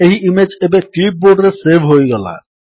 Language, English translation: Odia, The image is now saved on the clipboard